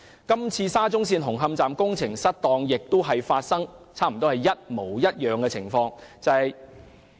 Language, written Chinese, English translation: Cantonese, 今次沙中線紅磡站工程失當，也發生了差不多一模一樣的情況。, That was pretty much the same as what has happened in the present case concerning the malpractices in the construction works at Hung Hom Station of SCL